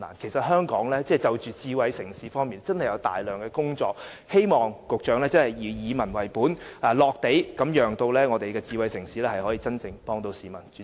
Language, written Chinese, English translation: Cantonese, 其實香港就着智慧城市方面真的有大量工作要做，希望局長以民為本，並且注重實用，讓智慧城市可以真正幫助市民。, Actually Hong Kong really needs to make a lot of efforts in smart city development . I hope the Secretary can adopt a people - based attitude and pay attention to practicality so as to enable smart city to truly help the public